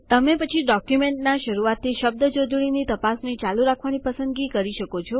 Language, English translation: Gujarati, You can then choose to continue the spellcheck from the beginning of the document